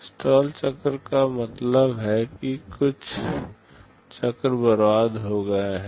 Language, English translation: Hindi, Stall cycle means some cycles are wasted